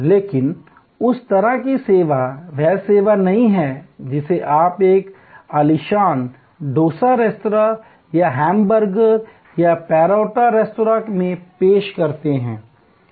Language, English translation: Hindi, But, that sort of service is not the service which you would offer at an idly, dosa restaurant or a hamburger or parotta restaurant